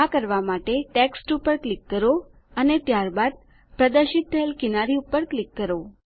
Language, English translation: Gujarati, To do this, click on the text and then click on the border which appears